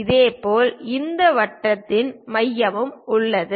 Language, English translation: Tamil, Similarly, there is center of this circle